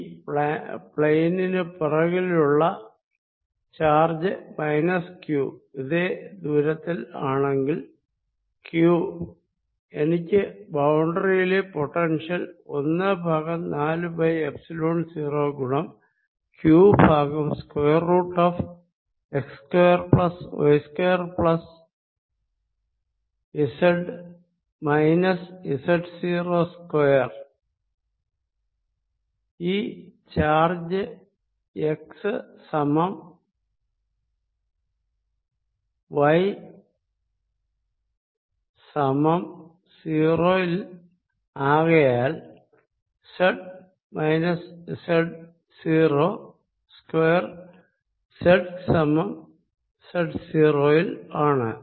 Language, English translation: Malayalam, now look at this: if i think of a charge behind this plane which is minus q, exactly at the same distance, then q gives me potential on the boundary as one over four pi epsilon zero q over square root of x square plus y square, because the charge is at x and y equal to zero, plus z minus z, not square